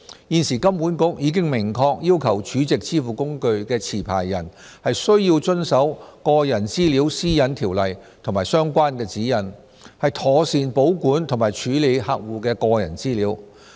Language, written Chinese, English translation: Cantonese, 現時金管局已明確要求儲值支付工具持牌人須遵守《個人資料條例》和相關指引，妥善保管及處理客戶的個人資料。, At present HKMA clearly requires licensed SVF operators to comply with the Personal Data Privacy Ordinance and its relevant guidelines so as to ensure that the personal information of their customers are kept and handled properly